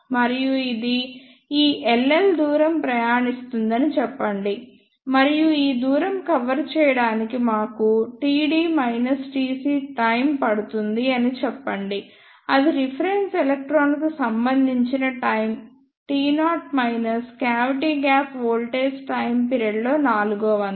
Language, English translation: Telugu, And let us say it travels this L l distance and to cover this distance let us say it take t d minus t c time which is equal to the time taken by the reference electron t naught minus one fourth of the time period of the cavity gap voltage